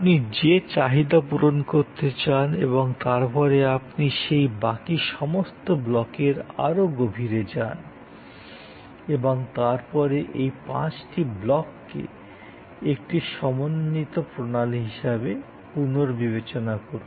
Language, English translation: Bengali, The needs that you want to full fill and then, you dig deeper into those other blocks and then, rethink of these five blocks as a composite system